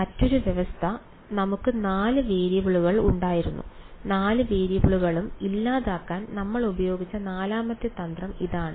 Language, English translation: Malayalam, The other condition is, the fine we had four variables and the fourth trick that we used to eliminate all four variables was that of